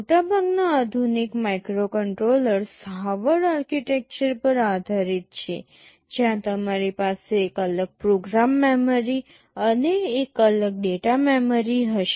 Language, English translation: Gujarati, Most of the modern microcontrollers are based on the Harvard architecture, where you will be having a separate program memory and a separate data memory